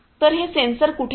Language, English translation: Marathi, So, where are these sensors